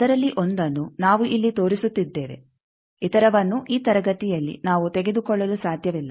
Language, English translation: Kannada, One of that we are showing here others all we cannot take in this class